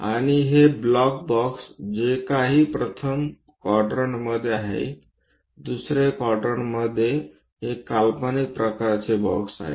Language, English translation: Marathi, And these blocks boxes whatever the first quadrant, second quadrant these are imaginary kind of boxes